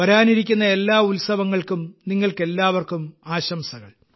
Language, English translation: Malayalam, Heartiest greetings to all of you on the occasion of the festivals